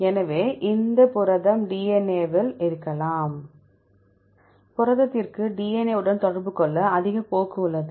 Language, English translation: Tamil, So, this protein could be at DNA protein have high tendency to interact with DNA